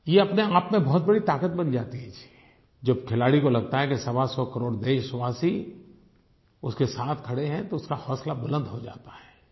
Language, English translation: Hindi, This becomes a source of strength in itself, when the sportsperson feels that his 125 crore countrymen are with him, his morale gets boosted